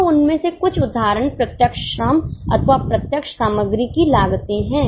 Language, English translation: Hindi, So, some of the examples of them are cost of direct labour or direct material